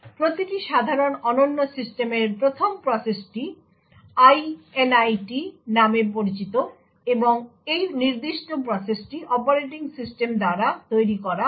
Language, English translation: Bengali, The 1st process in every typical unique system is known as Init and this particular process is created by the operating system